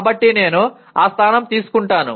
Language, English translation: Telugu, So I take that position